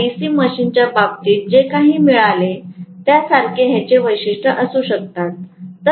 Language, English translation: Marathi, So, I may have similar characteristics like what I got in the case of DC machine